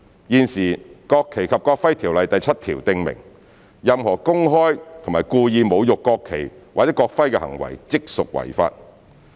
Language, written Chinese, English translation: Cantonese, 現時，《國旗及國徽條例》第7條訂明任何公開及故意侮辱國旗或國徽的行為，即屬違法。, Currently section 7 of NFNEO stipulates that a person who desecrates the national flag or national emblem publicly and intentionally commits an offence